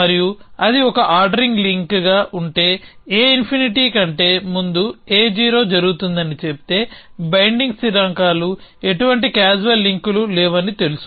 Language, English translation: Telugu, And it as 1 ordering links if says that A 0 happens before A infinity it as know binding constants no causal links